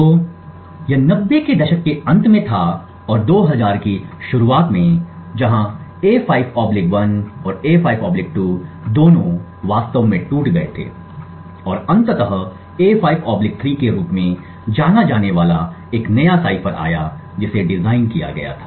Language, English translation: Hindi, So, this was in the late 90’s and early 2000’s where both A5/1 and A5/2 were actually broken and it eventually resulted in a new cipher known as the A5/3 that was designed